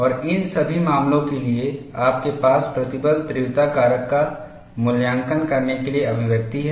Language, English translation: Hindi, And for all these cases, you have expressions for evaluating stress intensity factor